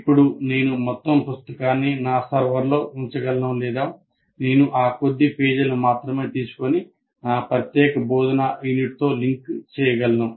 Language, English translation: Telugu, Now I can put the entire book on that, onto the, what do you call, on my server, or I can only take that particular few pages and link it with my particular instructional unit